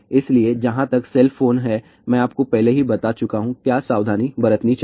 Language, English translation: Hindi, So, as far as the cell phones are there , I have already told you, what are the precautions to be taken